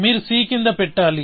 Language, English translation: Telugu, Then, you put down c